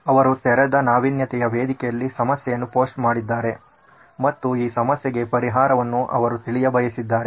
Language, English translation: Kannada, They posted a problem on an open innovation platform and they wanted to solve this problem, okay